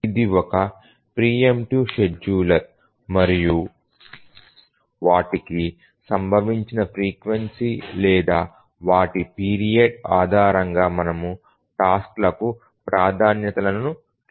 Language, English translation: Telugu, It's a preemptive scheduler and we need to assign priorities to tasks based on their frequency of occurrence or their period